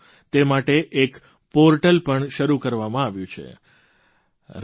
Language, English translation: Gujarati, A portal namely runforunity